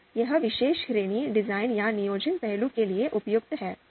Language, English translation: Hindi, So this particular this particular category is suitable for design or planning facet